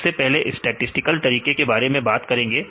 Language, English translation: Hindi, First we talk about the statistical methods right